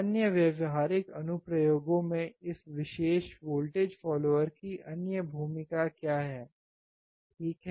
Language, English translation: Hindi, What is other role of this particular voltage follower in other practical applications, right